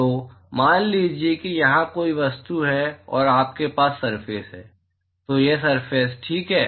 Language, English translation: Hindi, So, supposing if there is an object here and you have a surface, this is a surface ok